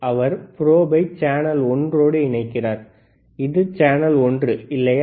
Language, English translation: Tamil, He is connecting the probe right to the channel one, this is channel one, right